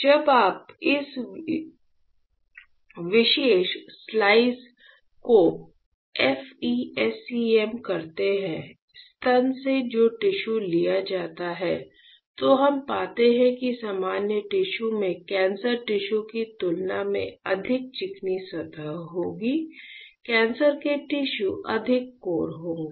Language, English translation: Hindi, When you perform FE SEM of this particular slice; of the tissue which is taken from the breast, then we find that the normal tissues would have a much more smoother surface compared to the cancers tissue cancer tissue would be much more cores